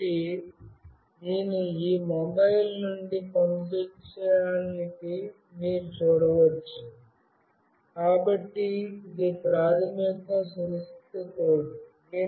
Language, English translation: Telugu, So, you can see that I have sent it from this mobile, so this is not the secure code basically